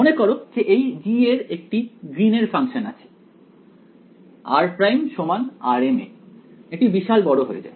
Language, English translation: Bengali, Remember that g over here has a its a Green's function, it blows up at r prime equal to r m right